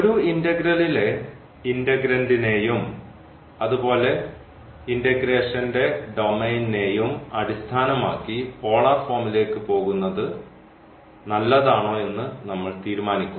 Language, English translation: Malayalam, So, based on the integrand of the integral as well as the domain of integration we will decide whether it is better to go for the polar form